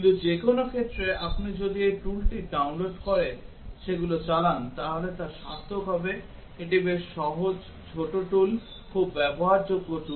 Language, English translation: Bengali, But in any case, it will be worthwhile if you download this tool and run them it is quite easy small tool very usable tool